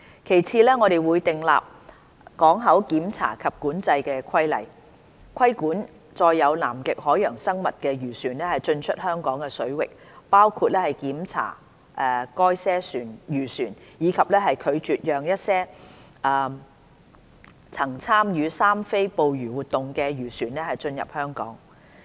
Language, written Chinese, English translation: Cantonese, 其次，我們會訂立港口檢查及管制規例，規管載有南極海洋生物的漁船進出香港水域，包括檢查該些漁船，以及拒絕讓一些曾參與"三非"捕魚活動的漁船進入香港。, Secondly we will formulate regulations for port inspection and control to regulate the entry of fishing vessels carrying Antarctic marine organizms to Hong Kong waters including inspection of such vessels and deny entry of vessels ever engaged in IUU fishing activities to Hong Kong waters Annex C